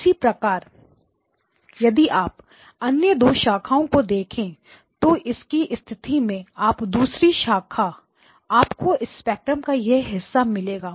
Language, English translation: Hindi, Likewise, if you look at the other two branches as well then what we get is in the second case you will get the this portion of the spectrum second branch